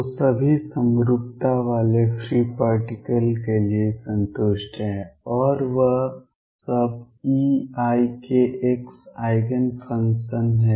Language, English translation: Hindi, So, for free particles with all the symmetry satisfy and all that e raise to i k x is the Eigen function